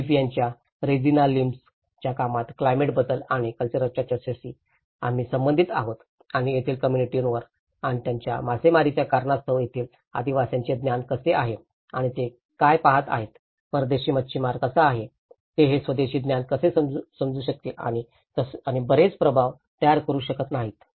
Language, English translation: Marathi, And this is where we relate to the discussions of climate change and culture you know, in the Regina Lims work of Philippines so where, how the indigenous communities have the knowledge on their sea and their fishing grounds and the impact, what they are seeing and how the foreign fisherman, how they are able to not understand this indigenous knowledge and have not creating a lot of impact